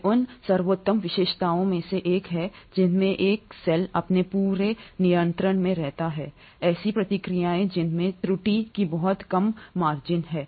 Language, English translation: Hindi, These are one of the best features wherein a cell keeps in control its entire processes which has very few margins of error